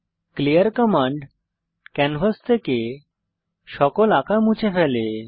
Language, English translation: Bengali, clear command cleans all drawings from canvas